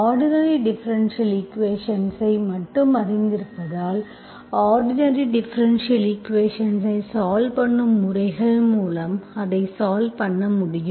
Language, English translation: Tamil, Because you know only ordinary differential equation, if at all you know, you know the methods to solve ordinary differential equation as of now